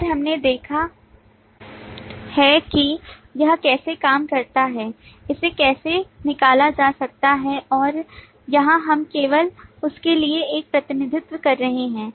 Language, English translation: Hindi, and we have seen how this work, how this can be extracted, and here we are just making a representation for that